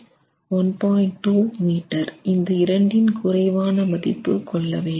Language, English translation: Tamil, 2 meters and we take the lesser of the two